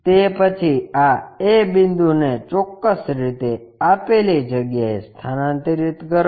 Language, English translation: Gujarati, Then, transfer this a point precisely to that location